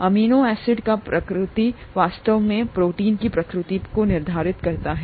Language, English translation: Hindi, The nature of the amino acids, actually determines the nature of the proteins